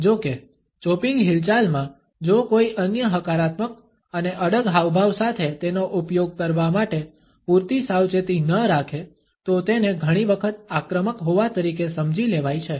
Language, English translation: Gujarati, However, the chopping movement if one is not careful enough to use it along with certain other positive and assertive gestures can often be understood as being an aggressive one